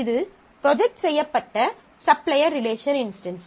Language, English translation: Tamil, So, this is the projected supplier relation instance